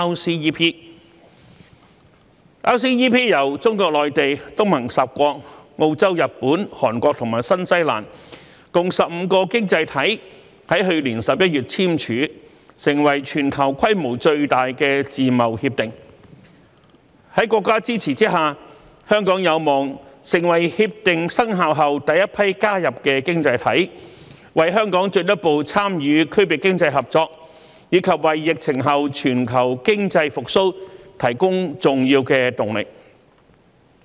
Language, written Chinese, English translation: Cantonese, RCEP 由中國內地、東盟十國、澳洲、日本、韓國和新西蘭共15個經濟體於去年11月簽署，成為全球規模最大的自貿協定，在國家支持下，香港有望成為協定生效後第一批加入的經濟體，為香港進一步參與區域經濟合作，以及為疫情後全球經濟復蘇提供重要的動力。, Signed by 15 economies including the Mainland of China the 10 ASEAN states Australia Japan Korea and New Zealand in November last year RCEP is the worlds largest free trade agreement . With the support of the country Hong Kong is expected to be among the first batch of economies joining RCEP after it comes into force providing a momentous drive to Hong Kongs further participation in regional economic cooperation and global economic recovery in the post - pandemic era